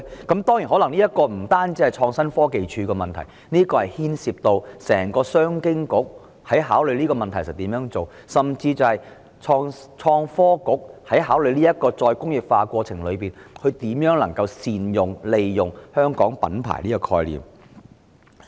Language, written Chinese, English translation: Cantonese, 當然，這可能不單是創科署的問題，亦牽涉到商務及經濟發展局的整體政策，甚至是創新及科技局考慮推進再工業化的過程中，如何能善用香港品牌這個概念。, Definitely it may not necessarily be a task assigned to ITC only but it may also involve the overall policy of the Commerce and Economic Development Bureau and it may even concern how the Innovation and Technology Bureau ITB can make good use of the concept of the Hong Kong brand in considering the promotion of re - industrialization